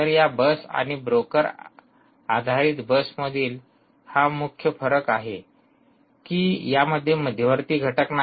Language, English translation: Marathi, so the main difference between this ah bus based and the broker based is there is no central entity